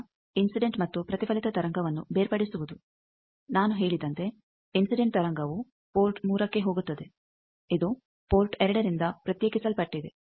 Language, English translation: Kannada, Now, separation of incident and reflected wave, as I said incident wave goes to port 3 it is isolated from port 2